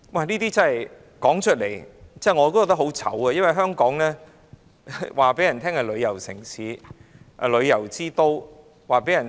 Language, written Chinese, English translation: Cantonese, 這些事我說出來也感到羞耻，我們對外宣稱香港是旅遊城市、旅遊之都。, I feel ashamed to relate these incidents . We claim that Hong Kong is a tourism city and a tourism capital